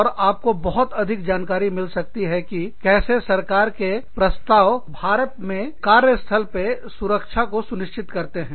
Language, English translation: Hindi, And, you can get much more information about, how the government proposes, to ensure workplace safety, and in workplaces, in India